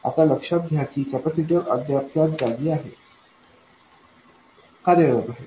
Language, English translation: Marathi, Now, notice that the capacitors are still in place